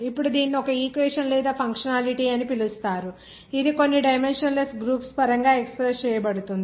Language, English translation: Telugu, Now, this is called one equation or functionality which is expressed in terms of some dimensionless groups